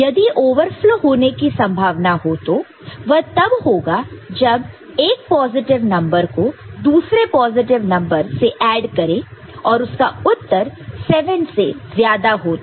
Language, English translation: Hindi, So, if we are now looking at the possibility of the overflow; so, that occurs when a positive number is added with a positive number and the value of that is more than 7 ok